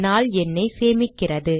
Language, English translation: Tamil, day stores the day number